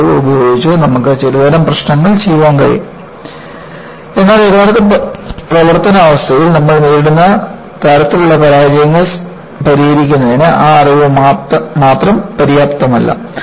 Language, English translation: Malayalam, With that knowledge, you could do certain kind of problems, but that knowledge alone is not sufficient to address the kind of failures that, you come across in actual service condition